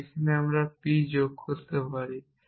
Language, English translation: Bengali, So, at this point we have added c